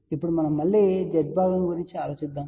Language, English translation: Telugu, Now, if we thing about again the Z parts